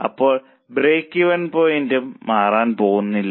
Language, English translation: Malayalam, So, break even point is also not going to change